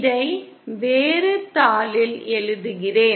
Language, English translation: Tamil, Let me write it on a different sheet